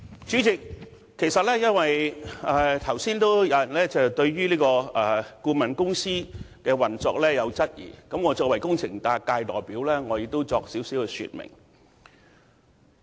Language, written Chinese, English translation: Cantonese, 主席，有議員剛才質疑顧問公司的運作，我作為工程界的代表，也想在此稍作說明。, President as some Members have questioned the operation of the consultancy earlier as the representative of the engineering sector I would like to explain the case briefly